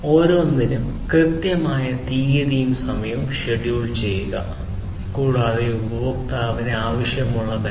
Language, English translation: Malayalam, Scheduling the date and time properly for each, and everything whatever the customer needs